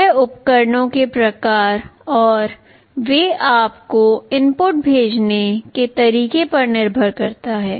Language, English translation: Hindi, It depends on the type of devices and the way they are sending you the inputs